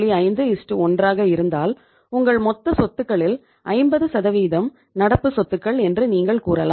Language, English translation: Tamil, 5:1 it means you can say that 50% of your total assets is the current assets